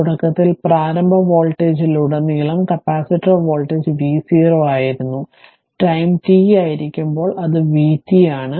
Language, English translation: Malayalam, So, initially capacitor voltage across initial voltage across the capacitor was v 0; and at time t, it is v t